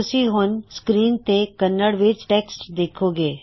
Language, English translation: Punjabi, You will see the Kannada text being displayed on the screen